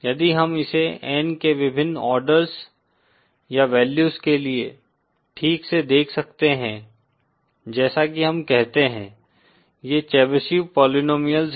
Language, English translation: Hindi, If we can see it properly for various orders or values of N as we call, these are the Chebyshev polynomials